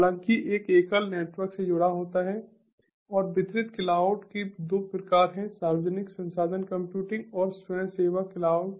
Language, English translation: Hindi, and there are two types of distributed cloud: the public resource computing and the volunteer cloud